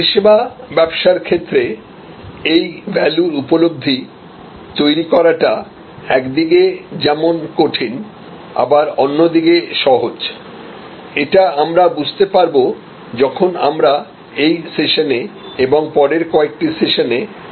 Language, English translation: Bengali, So, in service business, it is somewhat difficult and on the other hand, somewhat easier to create this value perception, which we will understand as we discuss during this session and in the following couple of sessions